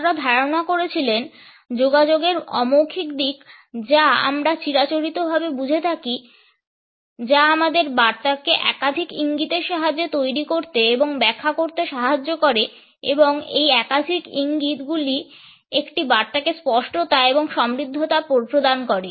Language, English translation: Bengali, They suggest that the non verbal aspects of communication as we traditionally understand them, provide us to form as well as to interpret our messages with the help of multiple cues and these multiple cues provide a certain richness to the message which is unequivocal